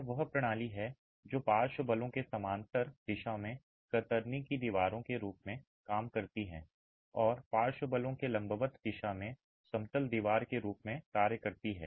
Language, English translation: Hindi, This is the system which works as shear walls in the direction parallel to the lateral forces and in the direction perpendicular to the lateral forces acts as an out of plain wall